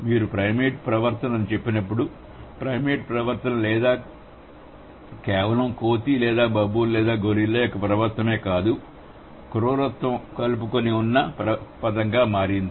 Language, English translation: Telugu, So, when you say primate behavior, primate behavior is not like just the behavior of an ape or a baboon or a gorilla, rather it has become a generic term or more inclusive term for brutishness, right